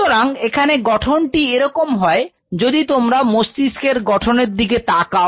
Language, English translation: Bengali, So, the structure is something like this, if you look at the structure and of the brain